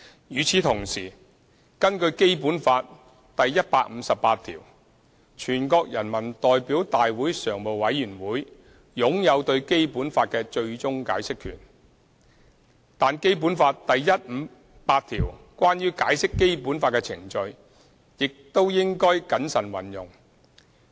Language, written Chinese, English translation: Cantonese, 與此同時，根據《基本法》第一百五十八條，全國人民代表大會常務委員會擁有對《基本法》的最終解釋權，但《基本法》第一百五十八條關於解釋《基本法》的程序，亦應謹慎運用。, At the same time pursuant to Article 158 of the Basic Law the Standing Committee of the National Peoples Congress NPCSC has the ultimate power to interpret the Basic Law . However the procedures for interpreting the Basic Law under Article 158 of the Basic Law should also be invoked with care